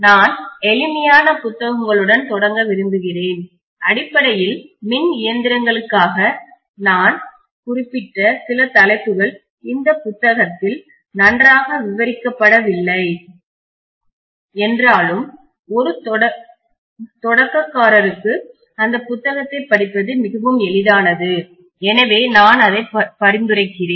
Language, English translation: Tamil, I would like to start with simplest of books, basically for electrical machines, although some of the topics I mentioned may not be covered very well in this book, nevertheless for a beginner it is very very easy to read that book so I would rather recommend that book, this book is written by P